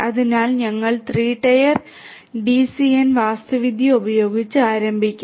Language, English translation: Malayalam, So, we will start with the 3 tier, 3 tier DCN architecture